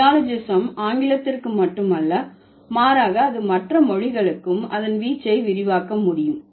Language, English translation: Tamil, So, neologism is not restricted just to English, rather it can extend its scope to other languages also